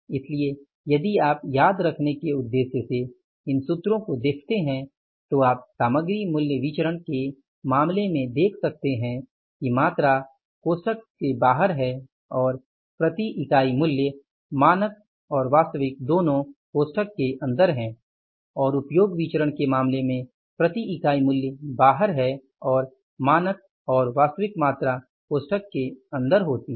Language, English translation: Hindi, So if you look at these formula for the purpose of memorizing these formulas you can see in case of the material price variance quantity is outside the bracket and price per unit that is the standard and actually is inside the bracket